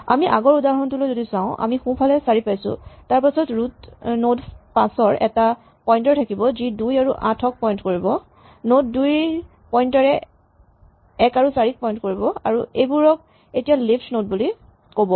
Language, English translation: Assamese, If we look at the same example that we had 4 on the right then the root node 5 will have a pointer to the nodes with 2 and 8, the node 2 will have a pointer to the nodes 1 and 4, these are now what are called leaf nodes